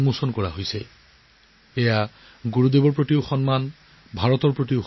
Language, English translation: Assamese, This is an honour for Gurudev; an honour for India